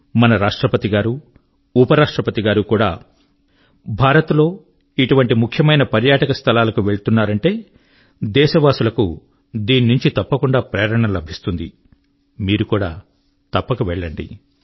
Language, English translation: Telugu, When our Hon'ble President & Vice President are visiting such important tourist destinations in India, it is bound to inspire our countrymen